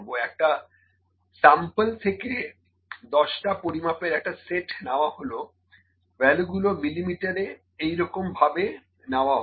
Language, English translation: Bengali, So, a set of 10 measurements were taken from a sample, the values in millimetres are as follows, ok